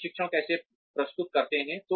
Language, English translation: Hindi, How do we present the training